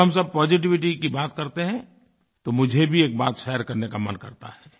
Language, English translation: Hindi, When we all talk of positivity, I also feel like sharing one experience